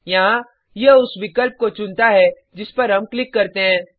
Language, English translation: Hindi, Here, this checks the option that we click on